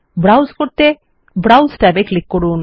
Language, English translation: Bengali, To browse, just click the browse tab